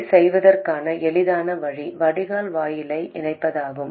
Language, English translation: Tamil, And the easiest way to do that is to connect the gate to the drain